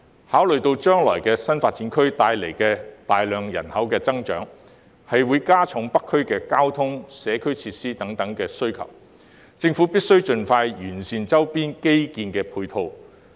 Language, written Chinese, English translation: Cantonese, 考慮到將來新發展區帶來的大幅人口增長，會加重北區的交通、社區設施等需求，政府必須盡快完善周邊基建配套。, Given that the substantial population growth in the new development areas will increase the demand for transport and community facilities in North District in the future the Government must expeditiously improve the necessary infrastructure support in surrounding areas